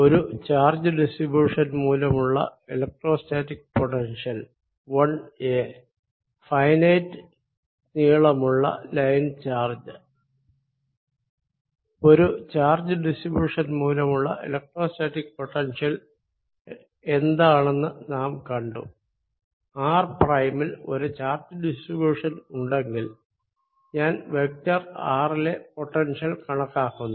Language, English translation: Malayalam, we have seen that the electrostatic potential due to a charge distribution is given as if there is a charge distribution at r prime and i am calculating potential at vector r, then the electrostatic potential v